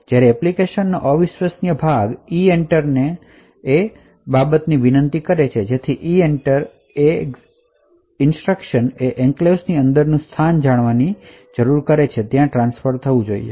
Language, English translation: Gujarati, When the untrusted part of the application invokes EENTER there certain things which are to be specified, so the EENTER instruction needs to know the location within the enclave where the transfer should be done